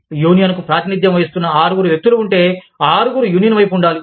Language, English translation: Telugu, If there are six people, representing the union, all six should be, on the side of the union